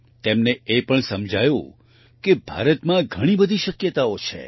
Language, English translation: Gujarati, They also realized that there are so many possibilities in India